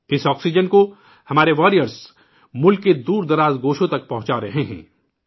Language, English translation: Urdu, Our warriors are transporting this oxygen to farflung corners of the country